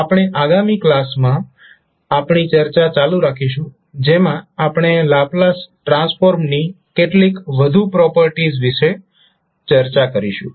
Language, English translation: Gujarati, We will continue our discussion in the next class where we will discuss few more properties of the Laplace transform